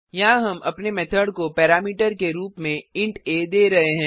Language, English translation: Hindi, Here we are giving int a as a parameter to our method